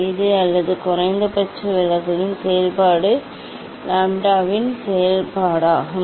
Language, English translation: Tamil, this or since is a function of minimum deviation is a function of lambda